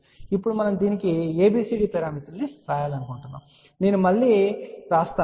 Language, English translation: Telugu, So, now we want to write ABCD parameters of this I have just written it again